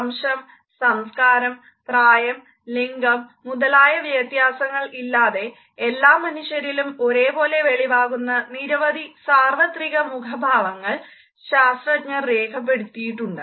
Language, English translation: Malayalam, Scientists have documented seven universal facial expressions of emotion that are expressed similarly by all people regardless of race, culture, age or gender